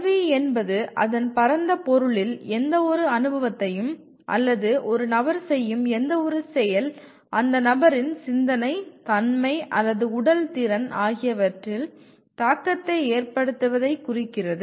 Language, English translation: Tamil, In its broad sense, education refers to any kind of experience or any activity an individual does which has impact on the person’s thinking, character, or physical ability